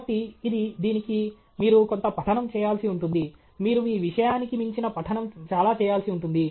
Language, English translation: Telugu, So, this, for this maybe you will have to do some reading; you will have to do lot of reading which is outside your subject